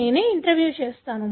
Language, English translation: Telugu, I will interview myself